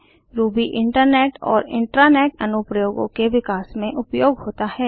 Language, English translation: Hindi, Ruby is used for developing Internet and Intra net applications